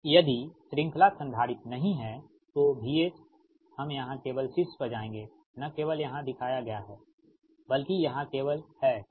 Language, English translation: Hindi, if, if the series capacitor is not there, then v s t, we will go to the top here, only, here only not shown, but here only right